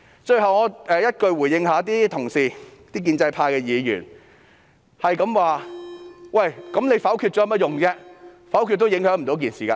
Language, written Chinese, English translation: Cantonese, 最後，我以一句話回應建制派議員，他們不斷質疑否決有何用，否決也不會有任何影響。, Finally I would like to respond to Members from the pro - establishment camp with one line . They keep questioning the use of voting against the Budget for it would not carry any implications